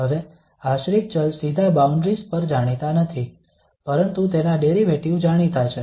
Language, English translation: Gujarati, Now not the dependent variable directly known at the boundaries but its derivative is known